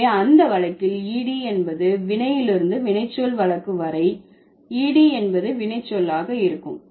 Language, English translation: Tamil, So, in that case, ED would be inflectional and from the verb to adjective case, ED would be derivational